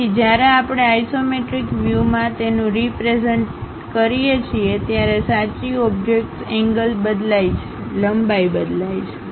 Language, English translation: Gujarati, So, they true objects when we are representing it in isometric views; the angles changes, the lengths changes